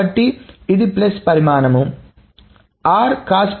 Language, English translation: Telugu, So this is about relation r